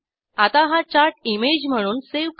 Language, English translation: Marathi, Let us now save this chart as an image